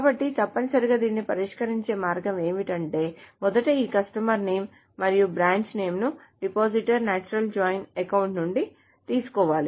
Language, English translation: Telugu, So essentially the way to solve this is that we need to first find out this customer name and branch name from the depositor natural joint account